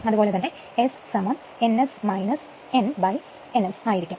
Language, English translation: Malayalam, And S is equals to n S minus n upon a n n S right